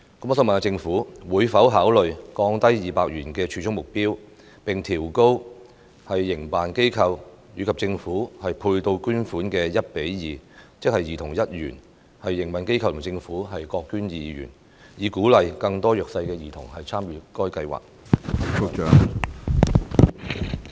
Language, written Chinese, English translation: Cantonese, 我想問政府會否考慮降低200元的儲蓄目標，並將營辦機構和政府配對捐款的比例提高至 1：2， 即兒童儲蓄1元，營運機構和政府各捐2元，以鼓勵更多弱勢兒童參與該計劃？, May I ask whether the Government would consider lowering the savings target of 200 and raising the ratio of matching funds contributed by project operators and the Government to 1col2 . That is to say project operators and the Government would each donate 2 when a child saves 1 so as to encourage more children from a disadvantaged background to participate in the programme?